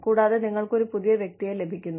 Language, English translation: Malayalam, And, you get a new person in